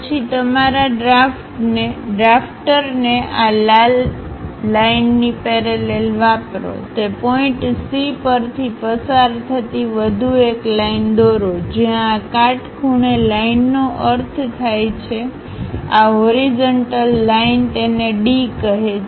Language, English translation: Gujarati, Then use your drafter parallel to this red line, draw one more line passing through that point C wherever this perpendicular A line means this horizontal line call it D